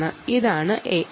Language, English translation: Malayalam, ok, the i